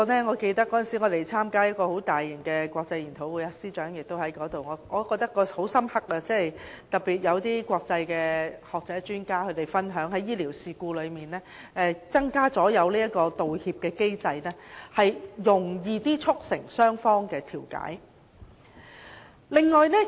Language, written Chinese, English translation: Cantonese, 我記得我們曾參加一個很大型的國際研討會，司長也有出席，我的印象很深刻，會上有國際學者和專家分享，在醫療事故增設道歉機制，較容易促成雙方調解。, I remember we attended a large international conference and the Secretary for Justice was there too . I remember deeply that some international scholars and experts shared their experience at the conference saying that an apology system could help bring the two sides in a medical incident to a settlement